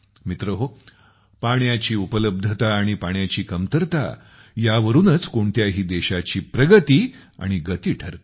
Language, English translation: Marathi, Friends, the availability of water and the scarcity of water, these determine the progress and speed of any country